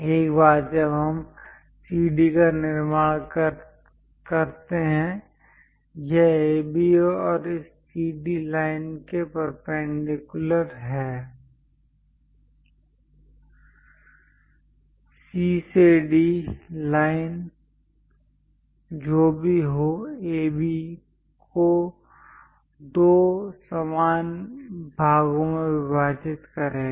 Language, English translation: Hindi, Once we construct CD; it is a perpendicular line to AB and also this CD line; C to D line, whatever this is going to bisect AB into two equal parts